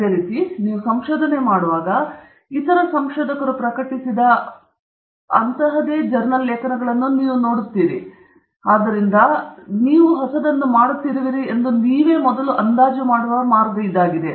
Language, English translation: Kannada, Similarly, when you do research, you look at these same journal articles published by other researchers, so that’s the way in which we first gauge that we are doing something that is new